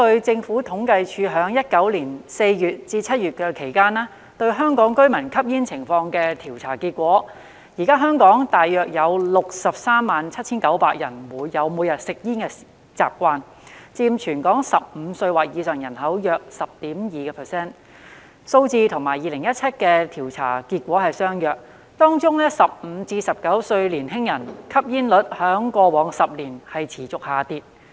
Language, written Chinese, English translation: Cantonese, 政府統計處於2019年4月至7月就香港居民吸煙情況進行調査，結果顯示現時香港約有 637,900 人有每天吸煙的習慣，佔全港15歲或以上人口約 10.2%， 數字與2017年的調査結果相若；當中15歲至19歲年輕人的吸煙率在過往10年持續下跌。, The Census and Statistics Department conducted a survey on smoking among Hong Kong residents from April to July 2019 and the findings showed that there were about 637 900 daily smokers in Hong Kong accounting for about 10.2 % of the population aged 15 or above . The numbers were comparable to the findings of the 2017 survey . The smoking prevalence of young people aged between 15 and 19 has been on the decline in the past decade